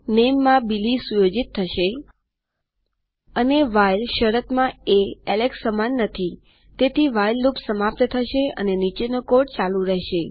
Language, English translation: Gujarati, The name would be set to Billy and in the while condition it doesnt equal Alex.So the WHILE loop will stop and the code down here will continue